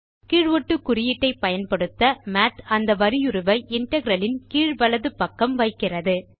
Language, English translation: Tamil, Using the subscript, Math places the character to the bottom right of the integral